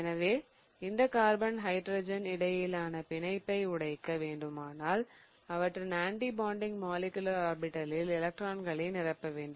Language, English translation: Tamil, So, in order to break this carbon hydrogen bond, what I would have to do is fill in electrons into the anti bonding molecular orbital